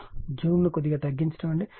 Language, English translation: Telugu, So, let me increase the zoom